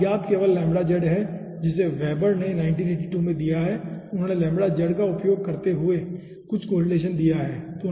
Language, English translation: Hindi, here only unknown is lambda z that weber has been given on 1982 some correletaion using lambda z for lambda z